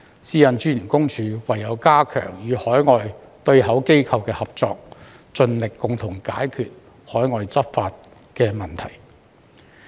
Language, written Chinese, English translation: Cantonese, 私隱公署唯有加強與海外對口機構的合作，盡力共同解決海外執法問題。, What PCPD can only do is to strengthen its cooperation with its overseas counterparts and resolve the overseas enforcement problems together with them as far as possible